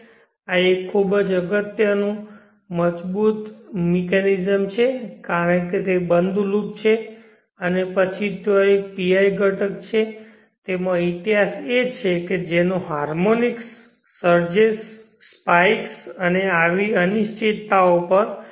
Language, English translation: Gujarati, This is a very robes mechanism because it is close loop and then there is a pi component there is history in it which will filtering effect on harmonings, surges, spikes and such than uncertainties